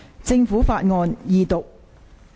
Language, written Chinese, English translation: Cantonese, 政府法案：二讀。, Government Bill Second Reading